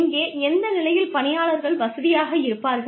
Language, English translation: Tamil, Where, at which point, would employees feel comfortable